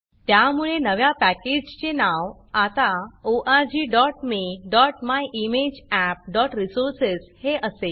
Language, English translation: Marathi, So the new package is now called org.me.myimageapp.resources